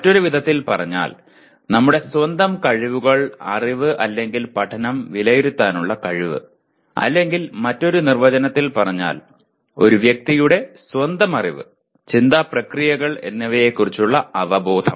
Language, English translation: Malayalam, In other words, the ability to assess our own skills, knowledge, or learning or another way defined, a person’s awareness of his or her own level of knowledge and thought processes